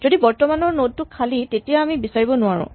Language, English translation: Assamese, So, if the current node is empty we cannot find it